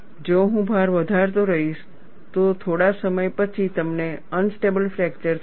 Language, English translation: Gujarati, If I keep on increasing the load, after sometime, you will have a unstable fracture